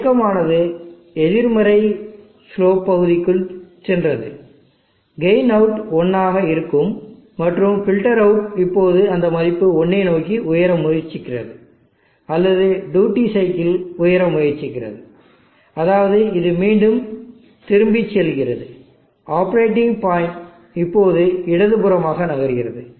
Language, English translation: Tamil, The movement that has gone to the negative slope region the gain output is high 1, and the filter output is trying to rise towards that value 1, or the duty cycle is trying to rise which means that this is again going back the operating point is now moving left